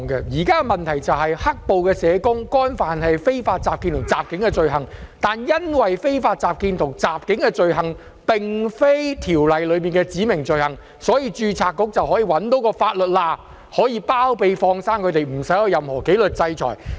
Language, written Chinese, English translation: Cantonese, 現在的問題是"黑暴"社工干犯了非法集結和襲警等罪行，但因為非法集結和襲警並非《條例》內的指明罪行，所以註冊局找到"法律罅"來包庇和"放生"有關人士，免他們面對任何紀律制裁。, Currently the issue is that violent social workers have committed offences of unlawful assembly or assaulting the police and so on but since the offences of unlawful assembly and assaulting the police are not specified offences under the Ordinance the Board can find this loophole in law to shield or let go the persons concerned enabling them to dodge disciplinary actions